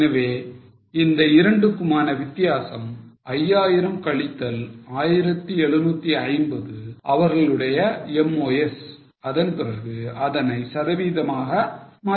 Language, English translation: Tamil, So, difference between 5,000 minus 1,750 is their MOS and then convert it into percentage